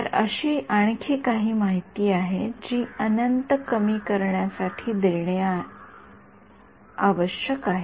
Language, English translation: Marathi, So, there is some more information that needs to be provided to in some sense reduce the infinity right